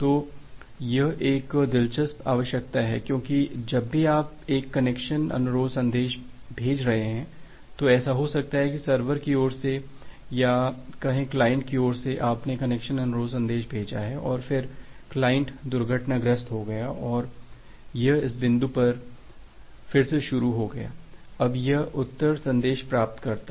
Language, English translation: Hindi, So, this is an interesting requirement, because whenever you are sending a connection request message it may happen that from the server side and here is the client side, say from the client side, you have sent a connection request message and then the client got crashed and it has restarted again say it has restarted again at this point, now here it receives the reply message